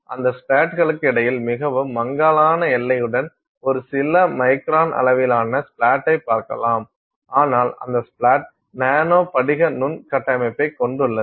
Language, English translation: Tamil, So, you are looking at a few microns sized splat with a very faint boundary between those splats, but that splat is consisting of nano crystalline microstructure